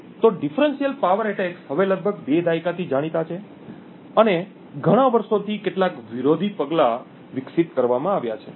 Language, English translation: Gujarati, So differential power attacks have been known for almost two decades now and there have been several counter measures that have been developed over these years